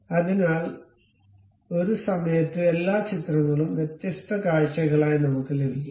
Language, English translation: Malayalam, So, all the pictures at a time we can get as different views